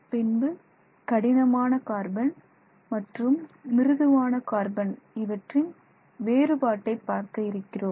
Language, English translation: Tamil, We will also look at how we can distinguish between what is known as hard carbon and something else that is known as soft carbon